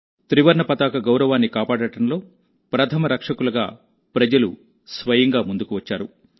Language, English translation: Telugu, People themselves came forward, becoming the vanguard of the pride of the tricolor